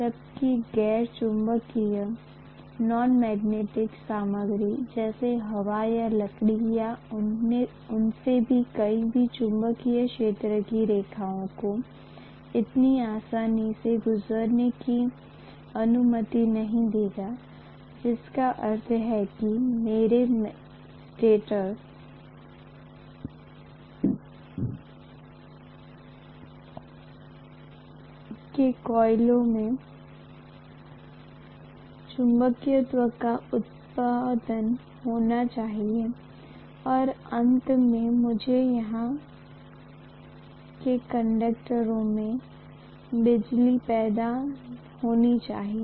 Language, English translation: Hindi, Whereas, the non magnetic materials like air or wood or any of them will not allow the magnetic field lines to pass through so easily; which means if I have to have probably the magnetism produced in the coils here in the stator and ultimately, I have to induce electricity in the conductors here